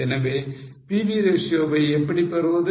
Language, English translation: Tamil, So, how to get PV ratio